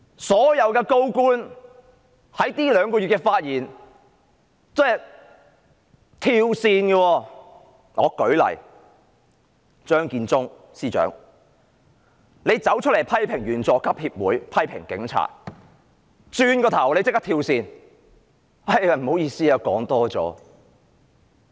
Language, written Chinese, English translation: Cantonese, 所有高官在這兩個月的發言都是"跳線"的，舉例說，張建宗司長出來批評香港警察隊員佐級協會、批評警察，轉過身立刻"跳線"，說不好意思，說多了。, Over the last two months all senior officials kept oscillating in their remarks . For instance after criticizing the Junior Police Officers Association and the Police Chief Secretary for Administration Matthew CHEUNG immediately made a volte face apologizing for saying too much